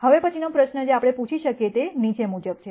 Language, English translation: Gujarati, Now, the next question that we might ask is the following